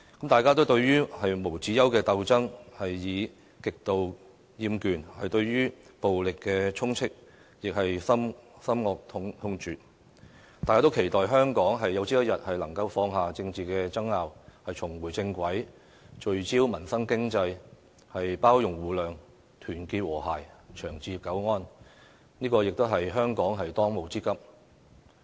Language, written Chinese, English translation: Cantonese, 大家對於無休止的鬥爭，已極度厭倦，對於暴力充斥更是深惡痛絕，但我們仍期待香港有朝一日能放下政治爭拗，重回正軌，聚焦民生經濟，包容互諒，團結和諧，長治久安，這亦是香港的當務之急。, The find the infestation of violence utterly abhorrent . But we still anticipate that someday Hong Kong will set aside the political row and get back on the right track by putting the focus on the peoples livelihood again . We should show tolerance and mutual understanding we should strive for unity and harmony as well as long - term peace and stability